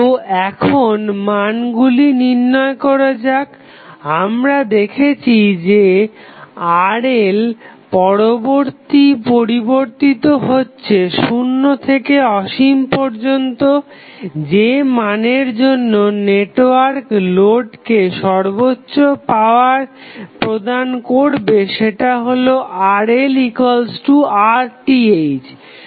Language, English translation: Bengali, So, now, let us try to find out the values we have seen that the Rl is changing between 0 to infinity, the value which at which the maximum power occurs is Rl is equal to Rth